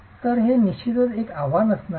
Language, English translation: Marathi, So, that's definitely going to be a challenge